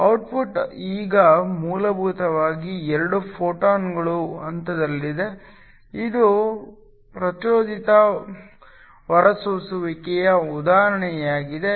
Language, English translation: Kannada, The output is now essentially 2 photons that are in phase, this is an example of stimulated emission